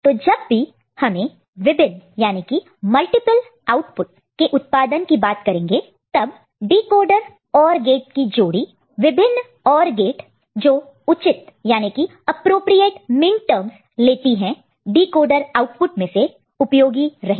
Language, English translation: Hindi, So, whenever we talking about we are talking about multiple output generation, then decoder OR combinations, so multiple OR gates which takes appropriate minterms from the decoder output that can be useful